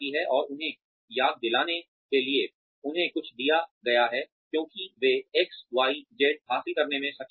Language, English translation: Hindi, And, to remind them that, they have been given something, because they were able to achieve XYZ